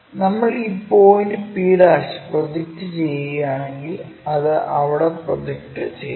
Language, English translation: Malayalam, If we are projecting this point p' it projects there and that goes all the way there